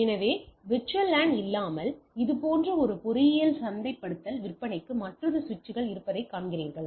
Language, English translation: Tamil, So, without VLAN you see I have this switches for one engineering marketing sales like this, another switch and etcetera and then connecting